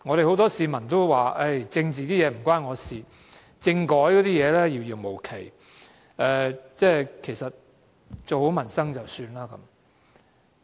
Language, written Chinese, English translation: Cantonese, 很多市民都說政治與他無關，政改一事遙遙無期，做好民生便可以了。, Many people say that politics are not related to them and constitutional reform too distant to them and they are contented as long as their livelihood is properly taken care of